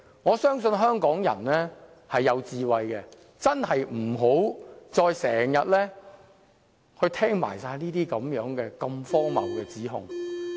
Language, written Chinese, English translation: Cantonese, 我相信香港人是有智慧的，我真的不希望再聽到如此荒謬的指控。, I am confident that Hong Kong people are wise and I really do not want to hear such ridiculous allegation anymore